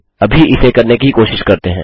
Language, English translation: Hindi, Lets just try it